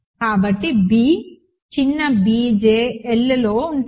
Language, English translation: Telugu, So, b small b j are in L